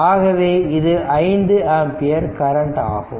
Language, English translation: Tamil, So, this is my your what you call 5 ampere current